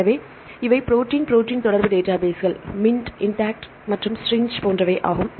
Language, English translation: Tamil, So, these are the protein protein interaction databases, MINT, IntAct, and STRING